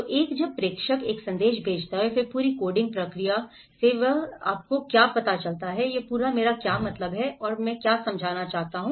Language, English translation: Hindi, So one when the sender sends a message and then how the whole coding process and how he receives it you know, this whole what I mean and what I understand